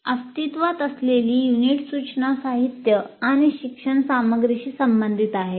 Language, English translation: Marathi, In this present unit, which is related to instruction material and learning material